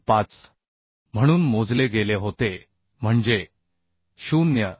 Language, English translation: Marathi, 35 that means 0